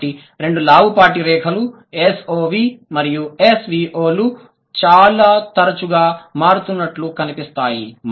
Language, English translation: Telugu, So, the two bold lines show that SOV and SVO are the most frequent changes